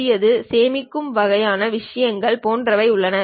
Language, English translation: Tamil, There is something like New, Save kind of things